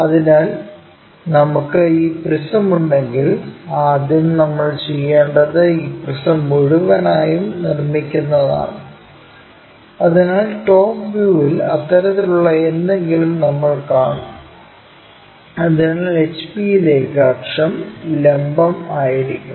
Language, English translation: Malayalam, So, it is more like if we have this if we have this prism first what we will do is we construct in such a way that this entire prism, so in the top view we will see something like such kind of thing, so where axis is perpendicular to HP